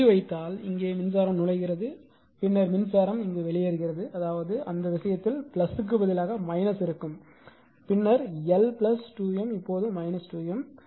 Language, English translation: Tamil, If you put instead of dot here if you put dot because here current is entering then current is leaving; that means, in that case general instead of plus it will be minus, it will be minus then L 1 plus L 2 minus 2 M